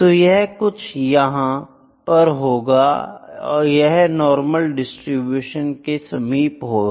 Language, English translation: Hindi, It would be somewhere like this, it will be close to the normal distribution, ok